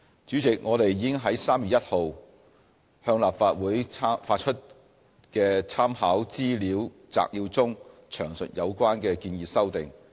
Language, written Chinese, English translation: Cantonese, 主席，我們已於3月1日向立法會發出的參考資料摘要中詳述有關的建議修訂。, President we have we set out the details of the proposed amendments in the Legislative Council brief issued on 1 March